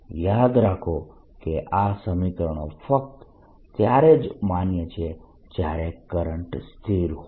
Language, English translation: Gujarati, remember, these formulas are valid only if the current is steady